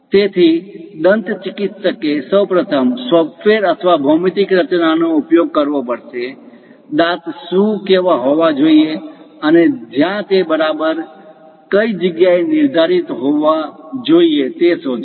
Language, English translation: Gujarati, So, a dentist has to arrange, first of all, construct either through software or geometric construction; locate what should be the teeth and where exactly it has to be located